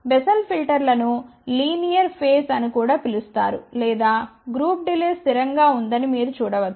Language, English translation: Telugu, A Bessel filters are also known as a linear phase or you can say a group delay is constant